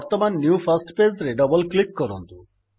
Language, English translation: Odia, Now double click on the new first page